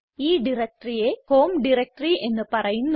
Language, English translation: Malayalam, It will go to the home directory